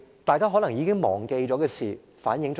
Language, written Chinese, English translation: Cantonese, 大家可能已經忘記了，但這件事反映了甚麼？, Members may have forgotten this incident already . But what can it reflect?